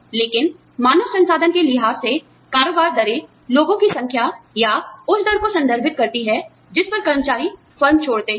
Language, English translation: Hindi, But, in human resources terms, turnover rates refer to, the number of people, or the rate at which, the employees leave the firm